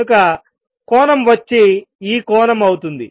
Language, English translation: Telugu, So, angle is going to be this angel